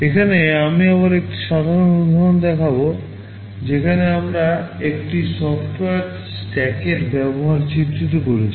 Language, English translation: Bengali, Here I am showing a simple example again where we are illustrating the use of a software stack